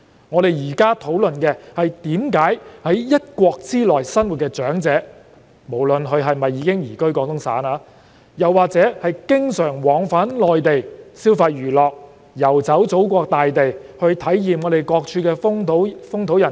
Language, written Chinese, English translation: Cantonese, 我現在說的是在一國之內生活的長者，不論他們是否已移居廣東省或只是經常往返內地消費娛樂、遊走祖國大地，體驗各處風土人情。, I am talking about the elderly living within one country regardless of whether they have moved to reside in Guangdong; frequently travel to and from the Mainland for consumption and entertainment or travel to various parts of the motherland to experience local customs and practices